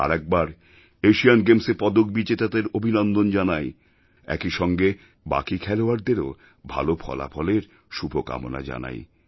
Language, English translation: Bengali, Once again, I congratulate the medal winners at the Asian Games and also wish the remaining players perform well